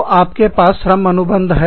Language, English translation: Hindi, So, you have a labor contract